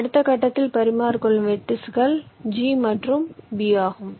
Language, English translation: Tamil, the vertices you are exchanging are g and b